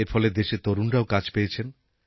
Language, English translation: Bengali, The youth have got employment this way